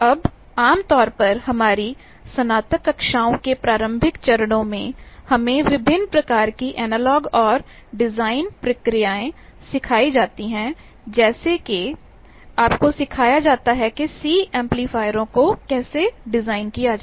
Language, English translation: Hindi, Now, generally in our undergraduate classes at the initial stages, we are taught various analogue and design procedures like you are taught, how to design a C amplifiers